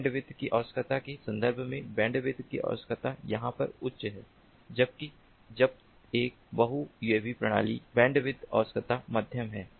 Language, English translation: Hindi, in terms of the bandwidth requirement, the bandwidth requirement over here is high, whereas when a multi uav system the bandwidth requirement is medium